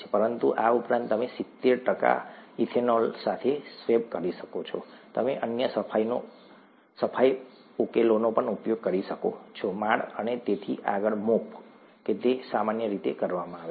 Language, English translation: Gujarati, But in addition, you could swab with, let us say, seventy percent ethanol, you could use other cleaning solutions; mop the floors and so on so forth, that's normally done